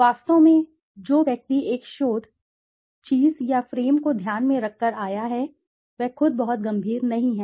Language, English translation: Hindi, In fact, the person who has come with a research thing/frame in mind, he himself is not very serious